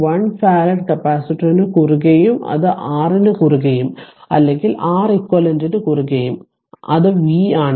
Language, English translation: Malayalam, 1 farad capacitor it is be across R also it is your Req also it is v right